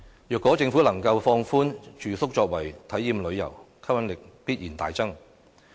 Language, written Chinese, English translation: Cantonese, 如果政府能夠放寬住宿作為體驗旅遊，吸引力必然大增。, The attractiveness of the local tourism will be greatly boosted if the Government can relax its rules on accommodation to allow experiential travel